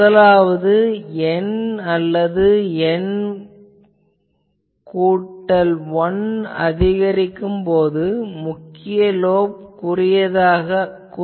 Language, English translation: Tamil, So, as N plus 1 increases, the main lobe gets narrower